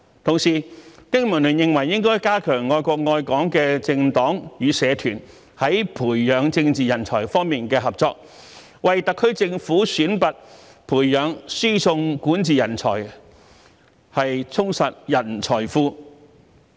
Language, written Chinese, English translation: Cantonese, 同時，經民聯認為應加強愛國愛港的政黨與社團在培養政治人才方面的合作，為特區政府選拔、培養、輸送管治人才，充實人才庫。, Also BPA holds that more efforts should be made to collaborate with political parties and community groups which love the country and Hong Kong on the nurturing of political talents with a view to selecting nurturing and transferring talents in governance for the SAR Government and enriching its talent pool